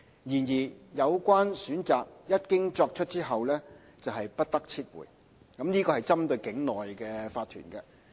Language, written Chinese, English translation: Cantonese, 然而，有關選擇一經作出便不得撤回，這是針對境內的法團。, The choice once it is made is however irreversible . This refers to onshore corporations